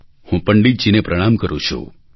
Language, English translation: Gujarati, I render my pranam to Pandit ji